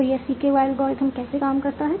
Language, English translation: Hindi, So how does this CKY algorithm works